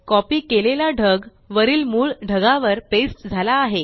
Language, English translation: Marathi, The copied cloud has been pasted on the top of the original cloud